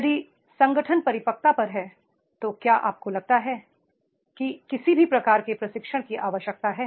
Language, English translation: Hindi, If organization at the maturity level do you think any type of training is required